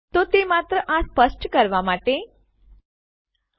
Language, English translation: Gujarati, So, that was only to get clear on that